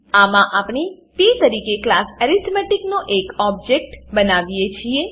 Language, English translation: Gujarati, In this we create an object of class arithmetic as p